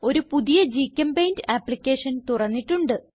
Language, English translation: Malayalam, I have already opened a new GChemPaint application